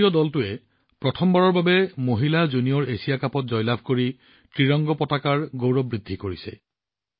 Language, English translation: Assamese, The Indian team has raised the glory of the Tricolor by winning the Women's Junior Asia Cup for the first time